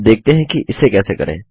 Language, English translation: Hindi, Now let us see how to do so